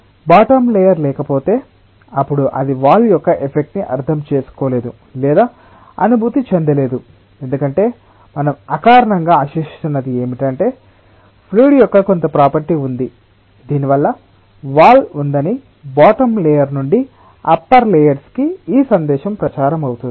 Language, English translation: Telugu, if the bottom layer was not there, then perhaps it would have not understood or felt the effect of the wall, because what we are intuitively expecting is that there is some property of the fluid by virtue of which this message that there is a wall gets propagated from the bottom layer to the upper layers